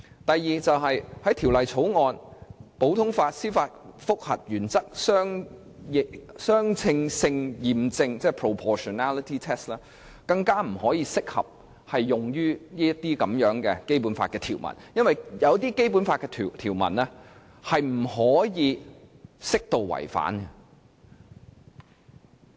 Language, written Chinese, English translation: Cantonese, 第二，普通法司法覆核原則的相稱性驗證，更加不適用於這些《基本法》條文，因為有些《基本法》條文是不可以適度違反的。, Second the proportionality test the principle of the common law judicial review is also not applicable to those Basic Law provisions . It is because some Basic Law provisions do not allow for proportionate violation